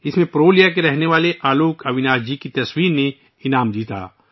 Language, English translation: Urdu, In this, the picture by AlokAvinash ji, resident of Purulia, won an award